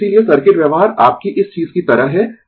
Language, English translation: Hindi, So, that is why circuit behavior is like your this thing